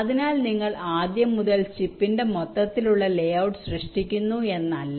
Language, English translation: Malayalam, so it is not that you are creating the layout of the whole chip from scratch, you are designed the layout of a cell